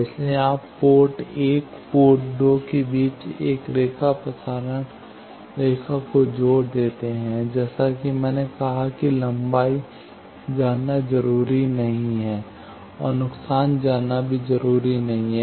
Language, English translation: Hindi, So, you see line connection a match transmission line between port 1 and port 2, as I said not necessary to know length and not necessary to be lossless also